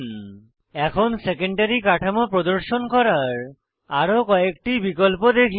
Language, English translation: Bengali, Here we see many more options to display secondary structure of protein